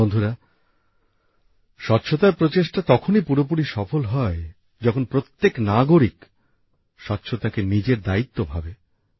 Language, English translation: Bengali, the efforts of cleanliness can be fully successful only when every citizen understands cleanliness as his or her responsibility